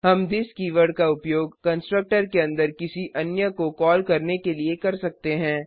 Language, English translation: Hindi, We can use this keyword inside a constructor to call another one